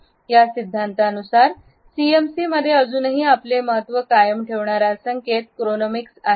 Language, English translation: Marathi, According to these theories the cue that is still remains dominant in CMC is Chronemics